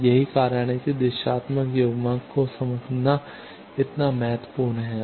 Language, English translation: Hindi, So, that is why it is so important to understand directional coupler